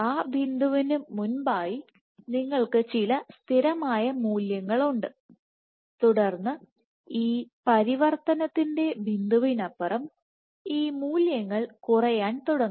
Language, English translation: Malayalam, So, before that point before that point you have some constant value and then these values after beyond this transition point, they start to drop